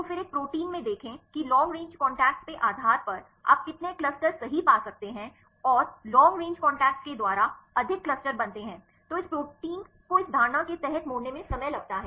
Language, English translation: Hindi, So, then see in a protein how many clusters you can find right based on long range contacts and there are more clusters are formed by the long range contacts then this proteins take time to fold under this assumption